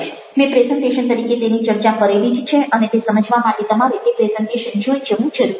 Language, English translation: Gujarati, i have already discuss it as a presentation and you need to go through that presentation in order to make sense of each